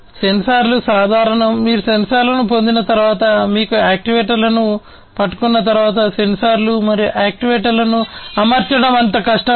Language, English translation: Telugu, Sensors are common, once you get the sensors, once you get hold of the actuators, it is not so difficult to deploy the sensors and actuators